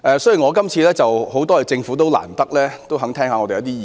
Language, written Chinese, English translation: Cantonese, 雖然如此，我亦要感謝政府聽取我們的意見。, Nevertheless I must also thank the Government for heeding our views